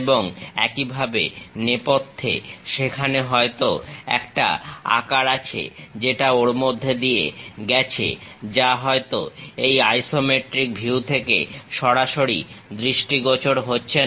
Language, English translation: Bengali, And, similarly at background there might be a shape which is passing through that which is not directly visible from this isometric view